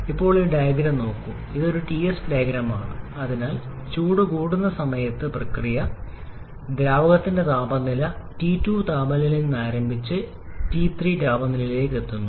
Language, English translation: Malayalam, Now look at this diagram, it is a Ts diagram so the during the heat addition process, the temperature of the fluid starts from temperature T2 and moves on to temperature T3